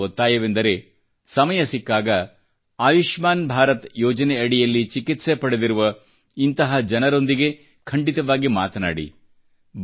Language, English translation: Kannada, I request you, whenever you get time, you must definitely converse with a person who has benefitted from his treatment under the 'Ayushman Bharat' scheme